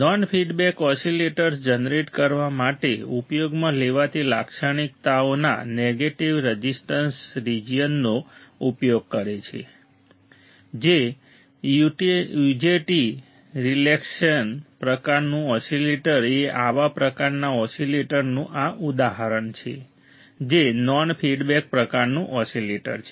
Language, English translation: Gujarati, The non feedback oscillators use the negative resistance region of the characteristics used to generate the oscillation, the UJT relaxation oscillator type of oscillator is type of this example of such type of oscillator which is the non feedback type oscillator, all right